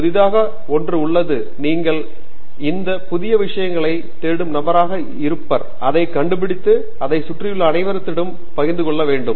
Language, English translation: Tamil, There is something new and you are going to be the person who searches for this new stuff, finds it and then shares it with all the people around you